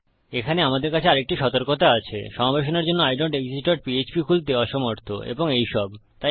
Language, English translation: Bengali, We have another warning here Failed to open idontexist dot php for inclusion and all of this